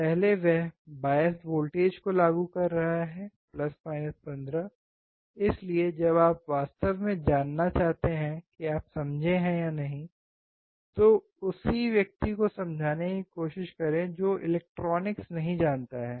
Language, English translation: Hindi, First he is applying the bias voltages + 15 So, when you really want to know whether you have understood or not, try to explain the same thing to a person who does not know electronics